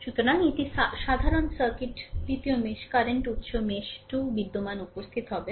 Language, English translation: Bengali, So, I will show you a simple circuit having 2 meshes current source exist in mesh 2, right